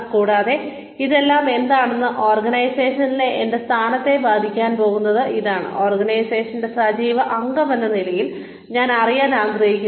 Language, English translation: Malayalam, And, how is all this, that is going to, affect my position in the organization, is what, I would like to know, as an active member of the organization